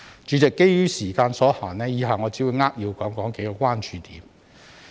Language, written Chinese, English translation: Cantonese, 主席，基於時間所限，以下我只會扼要談談幾個關注點。, President due to time constraints I will only briefly talk about a few points of concern